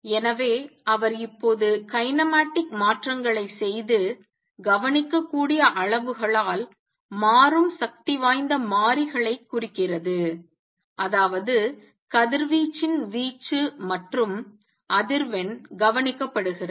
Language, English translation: Tamil, So, he has now shown that make kinematic changes and representing dynamical variables by observable quantities and that means, the amplitude and frequency of radiation observed